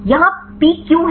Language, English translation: Hindi, Why this is a peak here